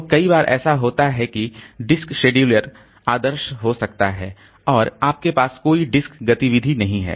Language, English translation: Hindi, So, many times what happens is that the disk scheduler it may be idle and we do not have any disk activity